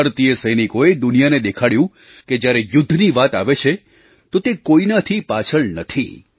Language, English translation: Gujarati, Indian soldiers showed it to the world that they are second to none if it comes to war